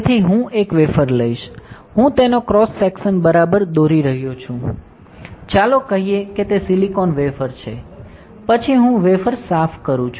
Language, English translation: Gujarati, So, I will take a wafer, I am drawing a cross section of it right, let us say it is a silicon wafer then I clean the wafer